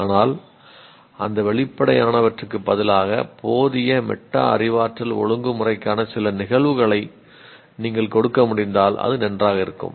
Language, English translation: Tamil, But instead of that obvious ones, if we can give some instances of inadequate metacognitive regulation, it will be nice